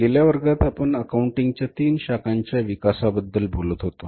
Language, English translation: Marathi, So, in the previous class we were talking about the development of the three branches of accounting